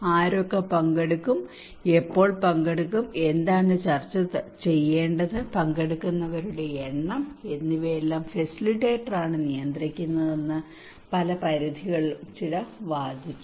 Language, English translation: Malayalam, In many extents, some people argued that the facilitator he controls everything who will participate, when will participate, What should be discussed, the number of participants